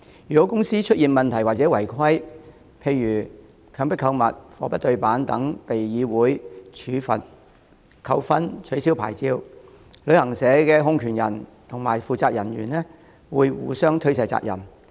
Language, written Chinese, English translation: Cantonese, 如公司出現問題或違規，例如強迫購物、貨不對辦等而被香港旅遊業議會處罰、扣分或吊銷牌照，旅行社控權人及負責人員會互相推卸責任。, Whenever a travel agent is penalized given demerit points or has its licence suspended by the Travel Industry Council TIC for having any problems or contravening any regulations such as engaging in coerced shopping and selling goods not matching the sale descriptions its controller and responsible officer will shift the responsibility onto each other